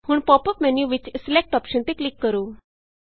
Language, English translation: Punjabi, Now click on the Select option in the pop up menu